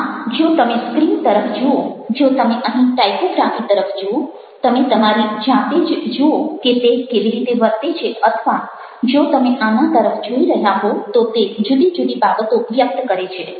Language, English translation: Gujarati, so if you are looking at the screen, if you are looking at the typography of here, you can see for yourself how it behaves